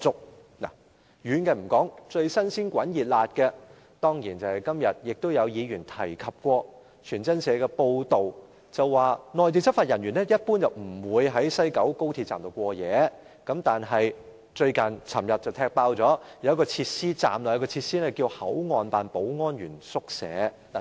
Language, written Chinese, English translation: Cantonese, 先不談遠的事情，一宗最近新鮮熱辣發生的事情，就是議員今天也提到的一篇傳真社報道，當中指出內地執法人員一般不會在西九高鐵站過夜，但傳媒昨天便揭發，站內竟設有一個名為"口岸辦保安員宿舍"的設施。, I just want to talk about a very very recent news story the news story of the FactWire News Agency mentioned by some Members today . We have been told that Mainland law enforcement officers generally will not stay overnight at the West Kowloon Station but in this media report yesterday it is revealed that there is a facility called Security Staff Rest Room at the Station